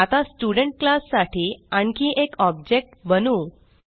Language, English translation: Marathi, Now, I will create one more object of the Student class